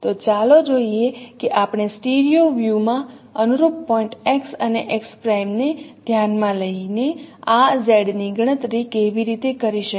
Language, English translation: Gujarati, So let us see how we can compute this Z considering the corresponding points X and X prime in the stereo view